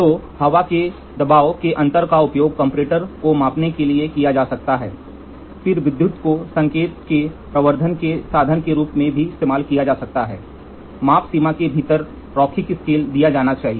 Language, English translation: Hindi, So, difference in air pressure can be used for measuring comparator then electrical also can be used has a means of amplification of the signal, linearity scale within the measurement range should be assured